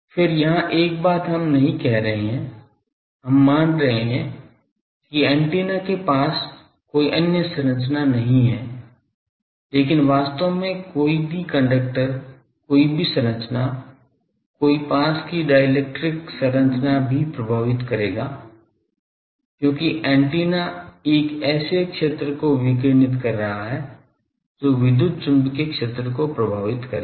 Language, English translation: Hindi, Then here one thing we are not saying that, we are assuming that near the antenna, there is no other structure, but in reality any conductor any structure even a dielectric structure nearby that will affect, because antenna is radiating a field that electromagnetic field will go there